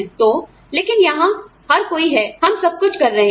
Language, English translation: Hindi, So, but here, everybody is, sort of, you know, we are doing everything